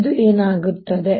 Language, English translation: Kannada, what is happening now